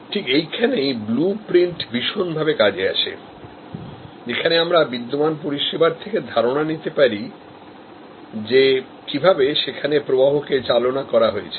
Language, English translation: Bengali, This is where the blue print is of immense help, where we can draw ideas from existing services and how the flow can be mapped in existing services